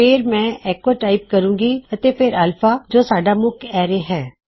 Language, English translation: Punjabi, So I will just type echo and then alpha which is our main array